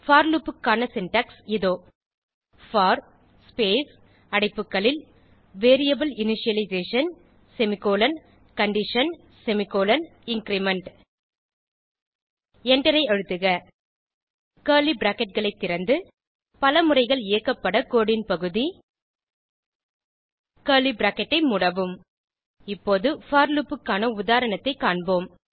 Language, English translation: Tamil, The syntax of for loop is as follows: for space open bracket variable initialization semicolon condition semicolon increment close bracket Press Enter Open curly brackets Piece of code to be executed multiple times Close curly brackets Now let us look at an example of a for loop